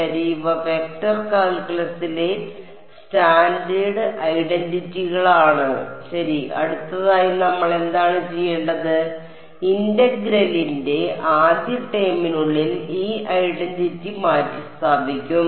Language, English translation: Malayalam, Ok these are standard identities in vector calculus ok, next what do we do we will substitute this identity inside the first term of the integral